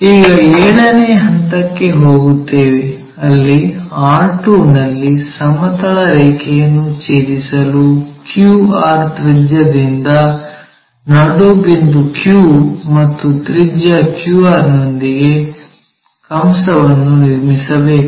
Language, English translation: Kannada, Now, we will move on to seventh point; where we have to draw an arc with center q and radius q r that is from q r radius to meet horizontal line at r2